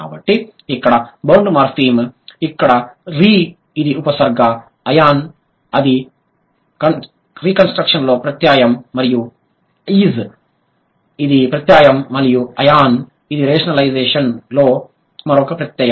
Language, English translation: Telugu, So, the bound morphem here is they are re which is a prefix, Eon which is a suffix in reconstruction and is which is a suffix and Eon which is another suffix in rationalization